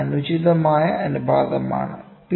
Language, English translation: Malayalam, This is the improper ratio, ok